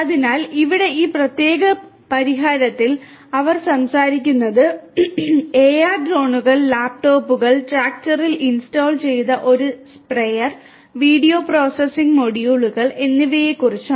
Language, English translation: Malayalam, So, here in this particular solution they are talking about the use of AR Drones, laptops, a sprayer installed in the tractor, video processing modules